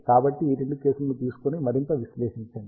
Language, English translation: Telugu, So, let us take both these cases and analyse further